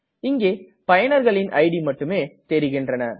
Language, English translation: Tamil, Now we can see only the ids of the users